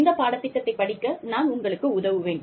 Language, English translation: Tamil, I will be helping you, with this course